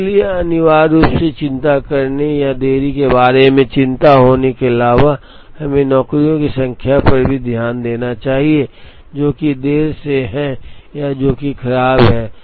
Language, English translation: Hindi, So, essentially in addition to worrying or being concerned about the delays, we should also look at the number of jobs, that are late or that are tardy